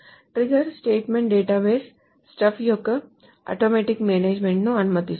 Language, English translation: Telugu, A triggered statement allows automatic management of database stuff